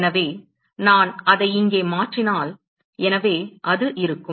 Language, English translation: Tamil, So, if I substitute that here; so, that will be